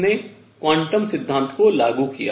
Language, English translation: Hindi, So, this was the build up to quantum theory